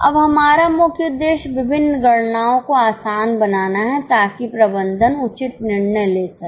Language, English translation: Hindi, Now our main purpose is to make various calculations easy so that management can take appropriate decision